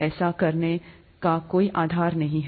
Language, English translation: Hindi, There is absolutely no basis to do that